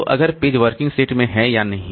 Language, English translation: Hindi, So, if so, the page is in working set